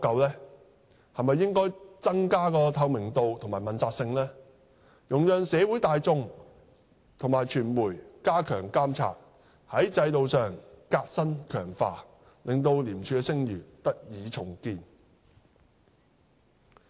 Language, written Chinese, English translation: Cantonese, 是否應增加透明度及問責性，容讓社會大眾及傳媒加強監察，從制度上革新強化，令廉署的聲譽得以重建？, Should transparency and accountability be enhanced to facilitate monitoring by members of the community and the media so as to rebuild ICACs reputation through institutional reform and improvement?